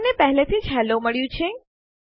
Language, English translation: Gujarati, Weve already got hello